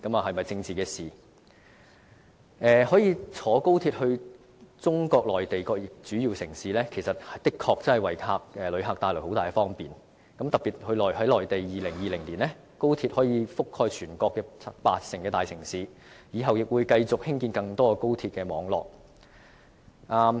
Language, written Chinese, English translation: Cantonese, 可以乘搭高鐵到中國內地各主要城市，的確可以為旅客帶來很大方便，特別在2020年，高鐵可以覆蓋全國八成大城市，以後亦會繼續興建更多高鐵網絡。, XRL or national HSR which can bring passengers to various major cities in the Mainland can bring great convenience to passengers indeed . By 2020 in particular national HSR network can cover 80 % of the major cities in the country and it will further expand in the years to come